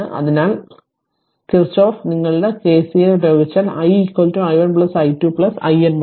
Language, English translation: Malayalam, Therefore, Kirchhoff’s if you apply your KCL right then i is equal to i1 plus i2 up to iN right